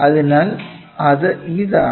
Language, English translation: Malayalam, So, we have it